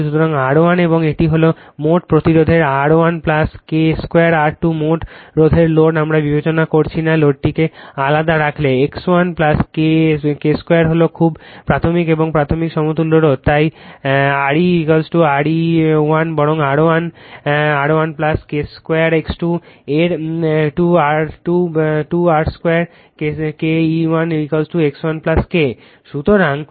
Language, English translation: Bengali, So, R 1 and this is the total resistance R 1 plus K square R 2 the total resistance load we are not considering the load keep it separate then X 1 plus K square is very primary and secondary equivalent resistance, right, so Re is equal to Re 1 rather is equal to R 1 plus K square R 2 Xe 1 is equal to X 1 plus K of K square X 2, right